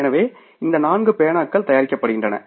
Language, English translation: Tamil, So, these four pens are manufactured